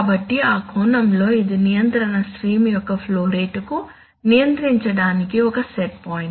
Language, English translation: Telugu, So in that sense it is a set point for controlled, for the flow rate of the control stream